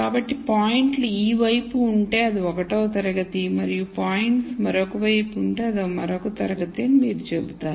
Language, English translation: Telugu, So, you would say if the points are to this side it is 1 class and if the points are to the other side it is another class